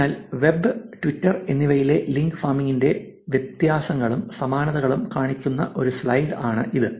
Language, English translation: Malayalam, So, here is a slide to show the differences and similarities of link farming in web and Twitter